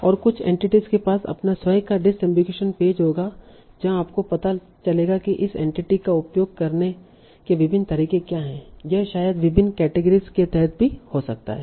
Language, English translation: Hindi, And some entities will have their own disambiguation pages where you find out what are the different ways in which this entity can be used